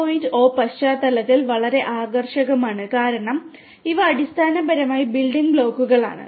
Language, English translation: Malayalam, 0 context, because these are the building blocks basically